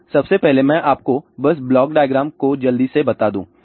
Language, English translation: Hindi, So, first of all let me just tell you quickly the block diagram